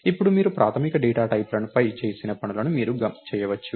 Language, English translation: Telugu, Now, you can do things that you did on basic data types